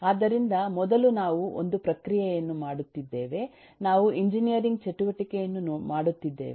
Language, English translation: Kannada, so first, we are doing a process of, we are doing a activity of engineering